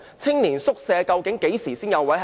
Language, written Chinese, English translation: Cantonese, 青年宿舍究竟何時才有宿位？, When will hostel places under the Youth Hostel Scheme become available?